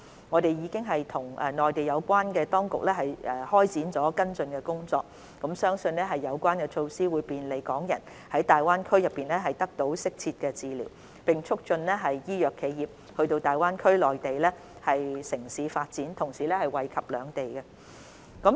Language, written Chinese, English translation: Cantonese, 我們已與內地有關當局展開跟進工作，並相信有關措施將便利港人在大灣區內得到適切治療，並促進醫藥企業到大灣區內地城市發展，同時惠及兩地。, We have commenced follow - up work with the relevant Mainland authorities . We believe that this measure can facilitate Hong Kong residents to seek appropriate healthcare services in GBA and encourage pharmaceutical companies to set up and develop in the GBA cities bringing mutual benefits to both places